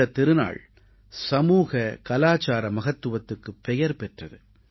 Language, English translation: Tamil, This festival is known for its social and cultural significance